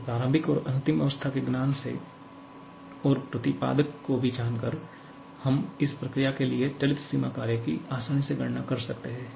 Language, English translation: Hindi, So, just from the knowledge of the initial and final state and also knowing this exponent in we can easily calculate the moving boundary work for this process